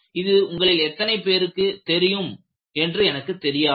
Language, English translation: Tamil, I do not know how many of you are aware